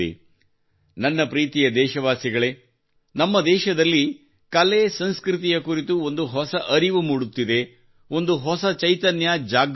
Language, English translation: Kannada, My dear countrymen, a new awareness is dawning in our country about our art and culture, a new consciousness is awakening